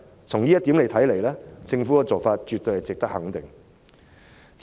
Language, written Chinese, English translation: Cantonese, 從這一點來看，政府的做法絕對是值得肯定的。, The move made by the Government in this respect certainly deserves our recognition